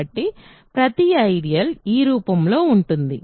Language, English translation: Telugu, So, every ideal is in this form